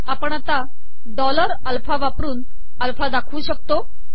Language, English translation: Marathi, For example, we create alpha using dollar alpha